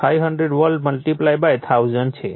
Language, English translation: Gujarati, So, 2500 volt multiplied / 1000